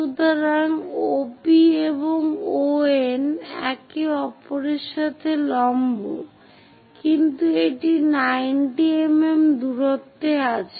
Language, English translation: Bengali, So, OP and ON are perpendicular with each other, but that is at 19 mm distance